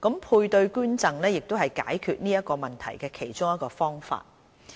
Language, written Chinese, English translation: Cantonese, 配對捐贈是解決這個問題的其中一個方法。, One way to overcome this barrier is paired donation